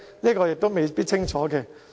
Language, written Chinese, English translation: Cantonese, 這亦未必清楚。, It is rather unclear